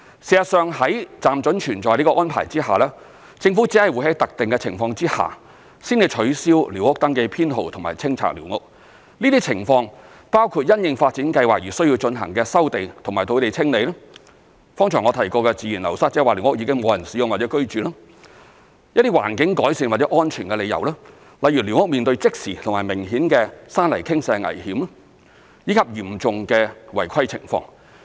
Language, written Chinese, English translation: Cantonese, 事實上，在"暫准存在"這個安排下，政府只會在特定的情況下，才取消寮屋登記編號和清拆寮屋，這些情況包括因應發展計劃而須進行的收地和土地清理；剛才我提及的自然流失，即寮屋已沒有人使用或居住；一些環境改善或安全的理由，例如寮屋面對即時和明顯的山泥傾瀉危險，以及嚴重的違規情況。, As a matter of fact only under specific circumstances will the Government demolish these squatters that exist under tolerance and have their survey numbers cancelled . These situations include land resumption and clearance for development projects; unused or unoccupied squatters due to natural wastage which I just mentioned; squatters that are phased out due to environmental improvement or safety reasons such as those having immediate or prominent landslide hazard or having serious irregularities